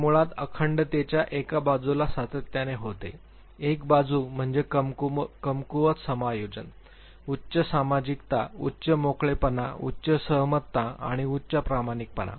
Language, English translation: Marathi, These are basically one side of the continuum other side of the continuum means weak adjustment, high sociability, high openness, high agreeableness and high conscientiousness